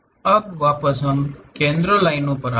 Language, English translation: Hindi, Now coming back to center lines